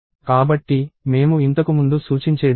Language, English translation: Telugu, So, this is what I was pointing to earlier